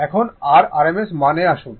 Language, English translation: Bengali, Now, come to rms value